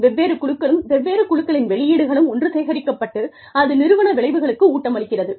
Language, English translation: Tamil, Different teams, the output of different teams, is collected, and feeds into the organizational outcome